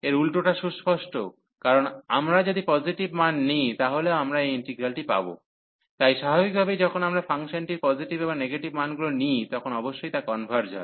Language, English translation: Bengali, The other way around this is obvious, because if we taking all the positive value is still we can get this integral, so naturally when we take the when the function takes positive and negative values, it will certainly converge